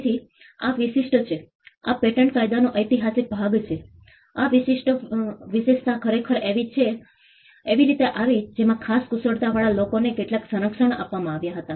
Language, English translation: Gujarati, So, this is exclusive this is the historical part of patent law, this exclusive privilege actually came in a way in which some protection was granted to people with special skills